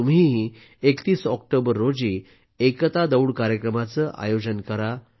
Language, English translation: Marathi, You too should organize the Run for Unity Programs on the 31st of October